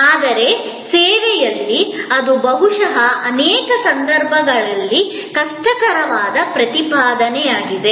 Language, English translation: Kannada, But, in service, that perhaps is a difficult proposition on many occasions